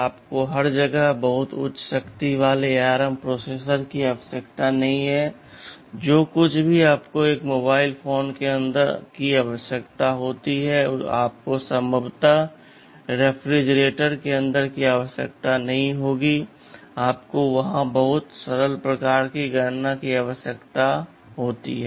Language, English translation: Hindi, YSo, you do not need very high power ARM processors everywhere, whatever you need inside a mobile phone you will not need possibly inside a refrigerator, you need very simple kind of calculations there right